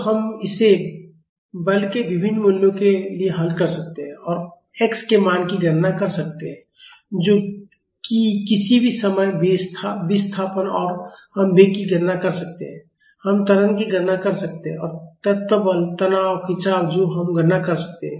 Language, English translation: Hindi, So, we can solve this for different values of force and calculate the value of x that is the displacement at any instant, then we can calculate velocity we can calculate acceleration and element forces stresses strains everything we can calculate